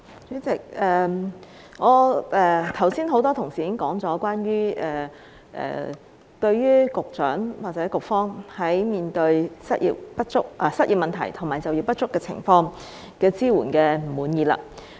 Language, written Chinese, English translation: Cantonese, 主席，多位同事剛才已提到，不滿意局長或局方對於失業問題及就業不足情況的支援。, President as many colleagues of mine have said just now they are not satisfied with the assistance provided by the Secretary or the Bureau in respect of unemployment and underemployment